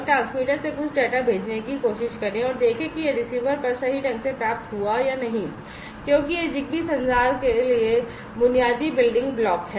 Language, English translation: Hindi, And try to send some data from the transmitter and see whether it has been correctly received at the receiver or not, because that is the basic building block for ZigBee communication